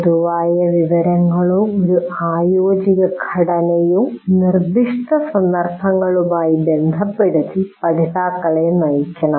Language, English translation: Malayalam, So, learners should be guided to relate general information or an organizing structure to specific instances